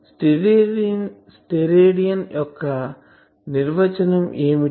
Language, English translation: Telugu, What is the definition of Stedidian